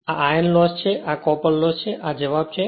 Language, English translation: Gujarati, So, this is the iron loss and this is copper loss this is the answer